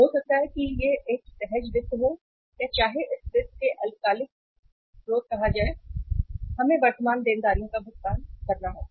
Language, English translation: Hindi, Maybe it is a spontaneous finance or whether it is say short term sources of the finance, we have to pay the current liabilities